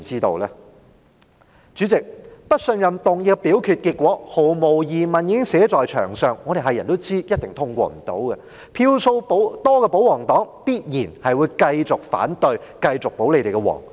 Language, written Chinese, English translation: Cantonese, 代理主席，不信任議案的表決結果，毫無疑問已經寫在牆上，所有人都知道一定無法通過，票數佔多數的保皇黨必然會繼續反對、繼續"保皇"。, Deputy President the voting result of this no - confidence motion is no doubt already written on the wall for everyone knows that it definitely cannot be passed . The pro - Government camp which takes up the majority of seats will certainly continue to vote against it and continue to take the Government under its wings